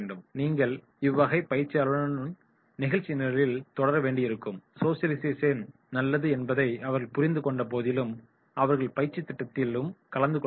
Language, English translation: Tamil, You have to continue with these particular participants and let them have to understand that this is the place, socialisation is good but they have to attend the training program also